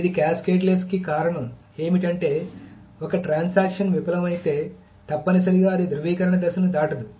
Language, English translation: Telugu, The reason why this is cascadless is that if a transaction fails, essentially it will not pass the validation phase